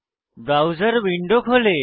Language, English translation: Bengali, The browser window opens